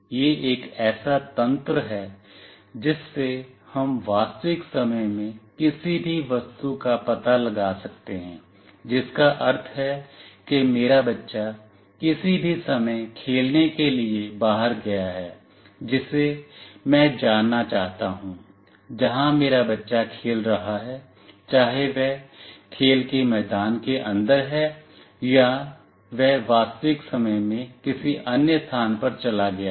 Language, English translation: Hindi, It is a mechanism by which we can locate any object in real time, meaning let us say my kid has went out for playing at any point of the time I want to know, where my kid is playing, whether he is inside the playground or he has moved out to some other place in real time